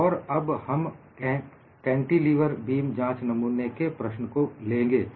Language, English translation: Hindi, And now, we take up a problem of a cantilever beam specimen